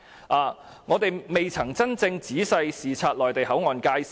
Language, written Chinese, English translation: Cantonese, 再者，我們並未真正仔細視察內地口岸界線。, Moreover we have not carefully inspected the boundary of the Mainland Port Area